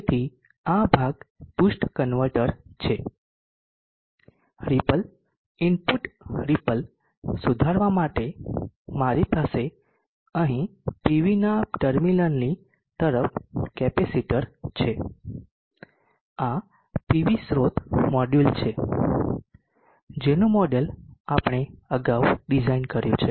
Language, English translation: Gujarati, So this portion is the boost converter, I have capacitor here across the terminal of the pv to improve the repo input repo, this is the PV source, module, the model of which we design earlier